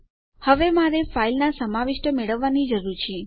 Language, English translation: Gujarati, So, now, I need to get the contents of the file